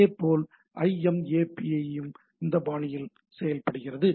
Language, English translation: Tamil, Similarly, IMAP also acts in a similar fashion